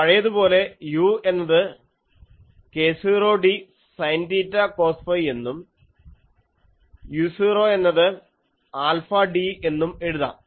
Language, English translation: Malayalam, So, u as before we will write as k 0 d sin theta cos phi, and u 0 is alpha d